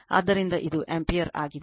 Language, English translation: Kannada, So, this is ampere